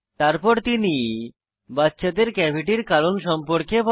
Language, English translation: Bengali, He then tells the children about the causes of cavities